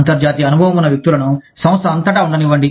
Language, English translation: Telugu, Disperse people with international experience, throughout the firm